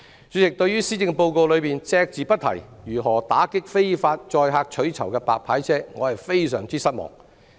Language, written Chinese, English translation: Cantonese, 主席，對於施政報告隻字不提如何打擊非法載客取酬的"白牌車"，我感到非常失望。, President the Policy Address has been silent on how to combat illegal carriage of passengers for reward by private cars or white licence cars service and I feel highly disappointed